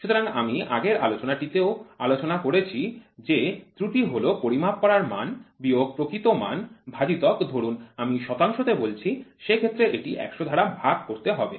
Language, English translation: Bengali, So, I discussed in the last class also error is what is measure minus what is the true value divided by suppose if I say percentage then it is divided by 100